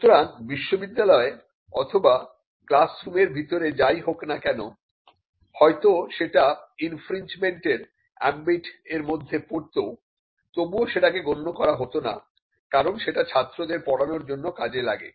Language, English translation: Bengali, So, whatever happened within the universities or in the classrooms though it may fall within the ambit of an infringement was excluded because, that was necessary for teaching students